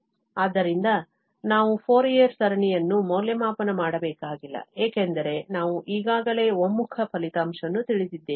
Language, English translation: Kannada, So, we do not have to evaluate the Fourier series because we know already the convergence result